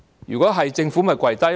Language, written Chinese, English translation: Cantonese, 如果會，政府便會跪低。, If we do the Government will kneel down